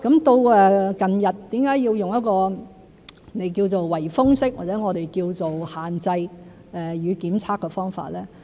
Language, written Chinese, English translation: Cantonese, 到近日為甚麼要用一個你稱為"圍封式"，或我們稱為"限制與檢測"的方法？, Why do we have to adopt what you call the lockdown method or restriction - testing as we put it these days?